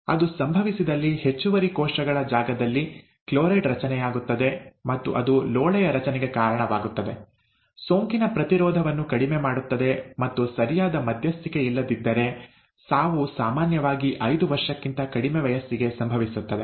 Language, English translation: Kannada, If that happens, there is a chloride build up in the extra cellular space, and that results in mucus build up, reduced resistance to infection, and without proper intervention, death usually occurs below five years of age, okay